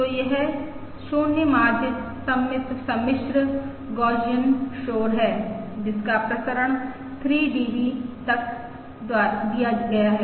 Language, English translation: Hindi, So this is 0 mean, symmetric, complex Gaussian noise with variance given by 3 DB